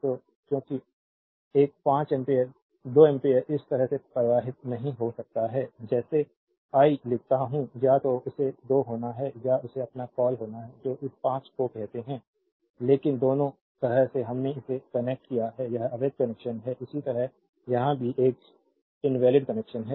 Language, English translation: Hindi, So, because a 5 ampere 2 ampere cannot flow like this I write the either it has to be 2 or it has to be your what you call this 5, but both the way we have connected it is invalid connection similarly here also it is invalids connection